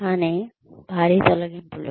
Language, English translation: Telugu, But, layoffs in mass